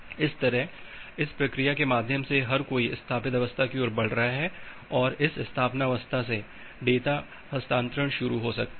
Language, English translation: Hindi, So, that way through this procedure everyone is moving towards the established state and from this establishment state data transfer can get initiated